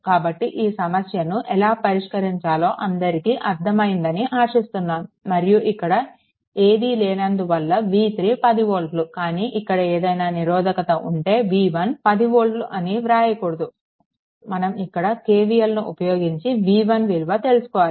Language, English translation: Telugu, So, this problem this problem hope everything is understandable to you and when nothing is there v 3 is equal to 10 volt, but if some resistance is here or here, that do not write v 1 is equal to 10 never write you apply the way I showed you apply KVL and then you find out what is v 1 right